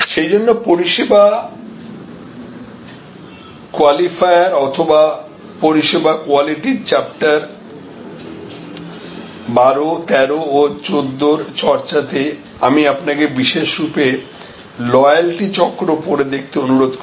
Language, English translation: Bengali, So, in the service qualifier or in the discussion of service quality chapter 12, 13 and 14, I would also particularly request you to read the wheel of loyalty